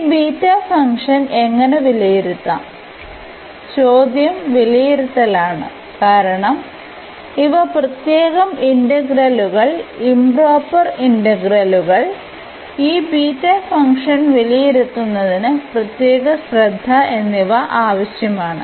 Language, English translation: Malayalam, And so, how to evaluate this beta function; the question is the evaluation because these are the special integrals, improper integrals and special care has to be taken to evaluate this beta function